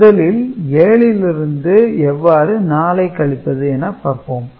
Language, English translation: Tamil, And, the other case when 4 is subtracted 7 is subtracted from 4